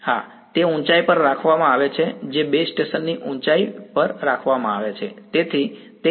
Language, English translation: Gujarati, Yeah, it is kept at a height the base station is kept at a height